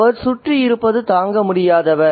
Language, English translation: Tamil, He is unbearable to be around